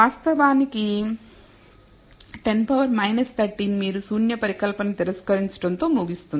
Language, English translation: Telugu, In fact, up 10 power minus 13 you will end up rejecting the null hypothesis